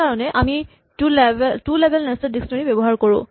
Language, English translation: Assamese, That is why we use a two level nested dictionary